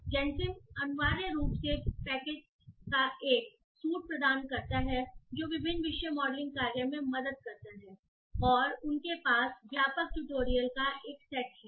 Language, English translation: Hindi, So, Gensim essentially provides a suit of packages that helps in different topic modeling tasks and they have a set of comprehensive tutorials